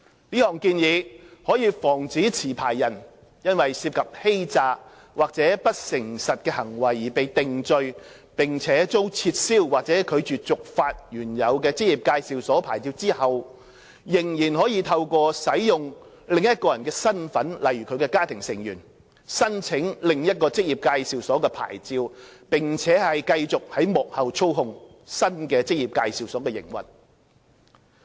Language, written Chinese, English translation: Cantonese, 這項建議可以防止持牌人因涉及欺詐或不誠實行為而被定罪，並遭撤銷或拒絕續發原有的職業介紹所牌照後，仍可透過使用另一人的身份例如家庭成員，申請另一職業介紹所牌照，並繼續在幕後操控新的職業介紹所的營運。, This proposal seeks to prevent a licensee who after hisher original EAs licence had been revoked or refused for renewal upon the conviction of an offence involving fraud or dishonesty to ask another person such as hisher family member to apply for another EA licence while retaining control of the operation of the second EA behind the scene